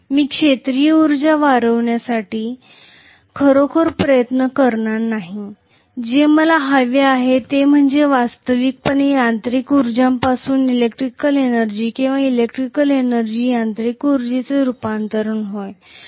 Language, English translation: Marathi, I am not going to really strive hard to increase the field energy, what I want is actually conversion from mechanical energy to electrical energy or electrical energy to mechanical energy